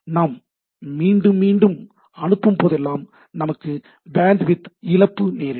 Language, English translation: Tamil, Whenever we retransmit, we lose bandwidth